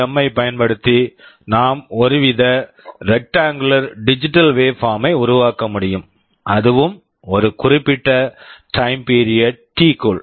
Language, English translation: Tamil, The first thing is that using PWM we can generate some kind of rectangular digital waveform, and there will be a particular time period T